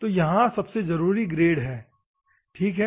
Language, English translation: Hindi, So, the important ones here are grade, ok